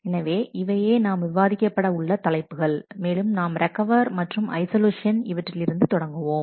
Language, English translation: Tamil, So, these are the topics to discuss and we start with recoverability and isolation